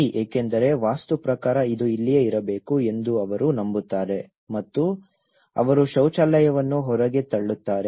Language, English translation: Kannada, Okay, because according to Vastu, they believe that this should be here and they converted then they push the toilet outside